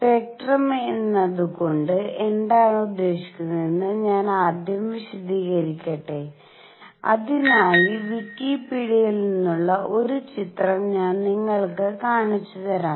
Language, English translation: Malayalam, Let me first explain what do we mean by spectrum and for that I will show you a picture from Wikipedia